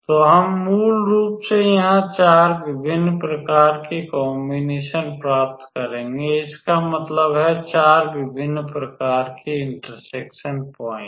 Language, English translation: Hindi, So, we will basically get 4 different types of combination here; that means, 4 different types of point of intersection all right